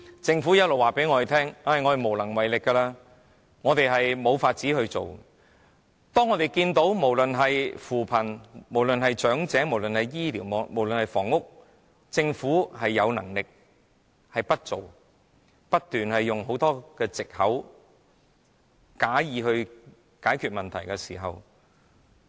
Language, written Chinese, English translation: Cantonese, 政府不斷告訴我們無能為力及無法處理，但政府在扶貧、安老、醫療及房屋方面其實是有能力解決問題的，但卻不行動，反而不斷提出種種藉口，或假意解決問題。, The Government has kept telling us that it is incapable of addressing the problem but according to our observation the Government is actually capable of doing something in respect of poverty alleviation elderly care as well as health care and housing issues but it just refused to do so . On the contrary it has put forward various excuses or pretended to deal with the problems